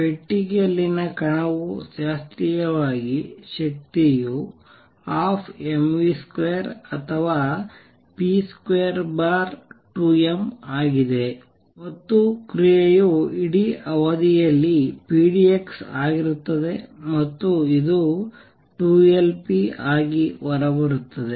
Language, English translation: Kannada, Particle in a box the energy classically is one half m v square or also p square over 2 m, and the action is p d x over the entire period and this comes out to be 2 Lp